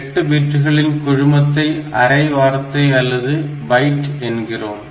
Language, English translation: Tamil, A group of 8 bits we call it a half word or a byte